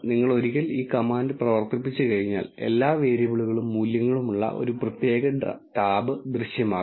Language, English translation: Malayalam, Once you run the command a separate tab will appear with all the variables and the values